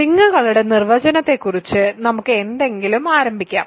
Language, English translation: Malayalam, So, let us start with something about definition of rings